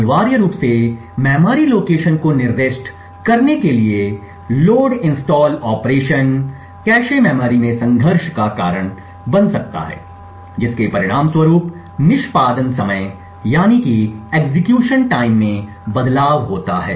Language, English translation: Hindi, Essentially the load installed operation to specify memory location could cause conflicts in the cache memory resulting in a variation in the execution time